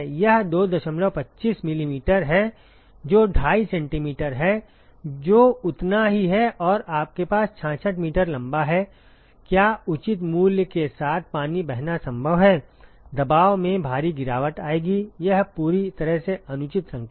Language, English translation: Hindi, 25 millimeters that is 2 and a half centimeters that is as much and you have a 66 meters long; is it possible to flow water with a reasonable price will have a huge pressure drop, it is a completely unreasonable number